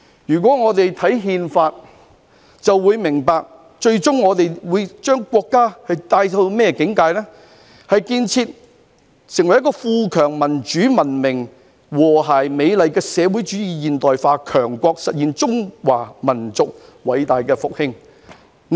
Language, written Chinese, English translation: Cantonese, 大家只要看看《憲法》，便會明白最終國家會進入的境界，就是"建設成為富強民主文明和諧美麗的社會主義現代化強國，實現中華民族偉大復興"。, Simply looking at the Constitution we can tell the ultimate state our country will reach and that is to build China into a great modern socialist country that is prosperous strong democratic culturally advanced harmonious and beautiful and realize the great rejuvenation of the Chinese nation